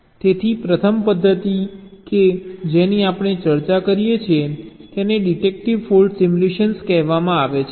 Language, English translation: Gujarati, so the first method that we discussed is called deductive fault simulation